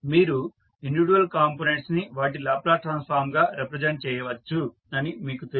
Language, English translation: Telugu, So, you know that individual components you can represent as their Laplace transform